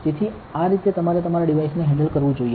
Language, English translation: Gujarati, So, this is how you should handle your devices